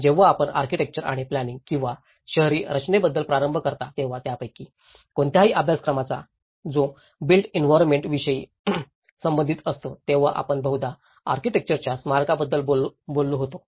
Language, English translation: Marathi, When we start about architecture or planning or urban design any of these studies which are related to the built environment orientation, in the past, we mostly have talked about the monumentality of the architecture